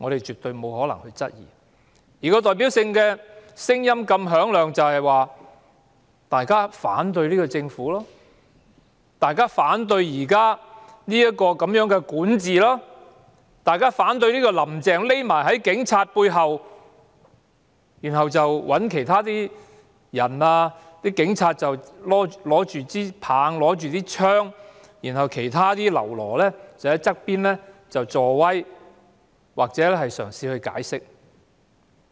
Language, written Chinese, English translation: Cantonese, 這種響亮的聲音，反映出大家反對政府、反對其管治、反對"林鄭"。他們只躲在警察背後，讓警察拿着警棍和警槍打壓，而其他嘍囉則在旁吶喊助威或試圖解釋。, This deafening voice reflects the level of opposition to the Government its governance and Carrie LAM who just hid behind the Police and let the Police suppress the people with batons and guns while other minions only shouted cheers or tried to explain